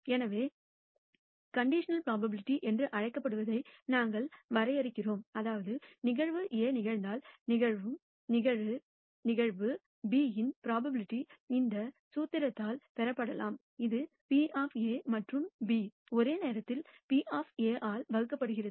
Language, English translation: Tamil, So, we de ne what is called the conditional probability, that is, the probability of event B occurring given that event A has occurred can be obtained by this formula which is the probability of A and B simultaneously occurring divided by the probability of A occurring